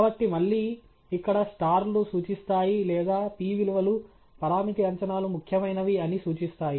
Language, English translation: Telugu, So, again, here the stars for me indicate or the p values as well indicate that the parameter estimates are significant